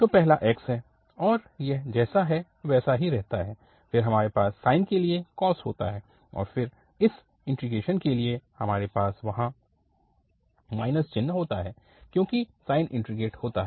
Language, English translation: Hindi, So the first is x as it is, then we have the, the cos for the sine and then just to have this integration we have to also have minus sine there because sine is integrated